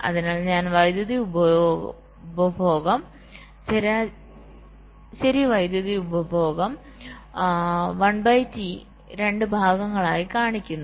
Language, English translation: Malayalam, so i am showing the power consumption average power consumption one by two, in two parts